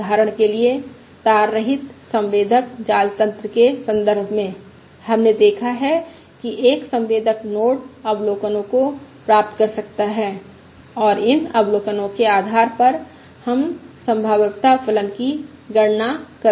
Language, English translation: Hindi, For instance, in the context of wireless sensor network, we have seen that a sensor node can keep receiving observations, yeah, and based on these observations we compute the likelihood function